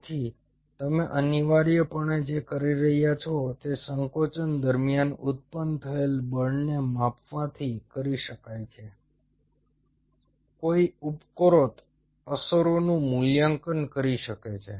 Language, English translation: Gujarati, so what you are essentially doing is is by measuring the force generated during contraction, one can, one can evaluate the above effects